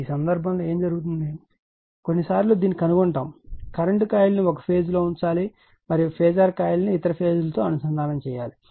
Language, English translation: Telugu, In this case what happened , that your ,, sometimes you will finds sometime you will find this is, that current coil should be put in one phase and phasor coil should be connected across other phase right